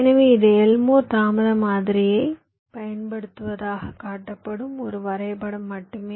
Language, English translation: Tamil, so this is just a diagram which is shown that using elmore delay model